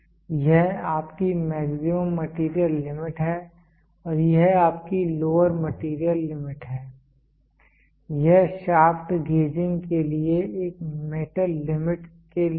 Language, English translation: Hindi, This is your maximum material limit and this is your lower material limit this is for a metal limits for shaft gauging